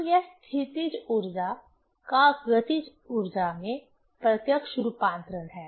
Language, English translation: Hindi, So, it is a direct conversion of potential energy into kinetic energy